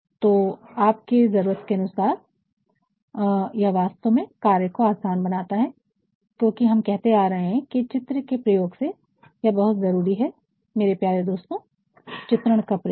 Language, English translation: Hindi, So, and and that actually makes the task easier, because we have been saying that the use of illustrations is very important my dear friend use of illustrations